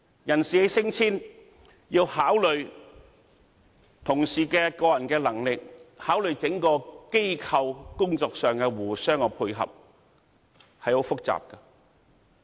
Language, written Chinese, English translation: Cantonese, 人事的升遷要考慮同事的個人能力，考慮整個機構工作上的互相配合，相當複雜。, As far as promotion is concerned we have to consider the abilities of a certain individual and we also have to take into account of the interaction with the entire institution thus it is very complicate